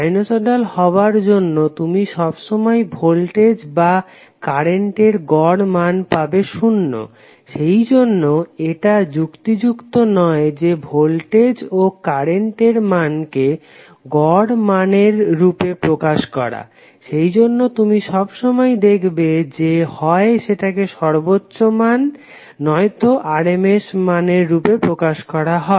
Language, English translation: Bengali, Being a sinusoidal you will always get the average value of either voltage or current as 0, so that’s why it is not advisable to keep the value of voltage and current in terms of average value that’s why you will always see either the value of voltage and current is specified as maximum or rms value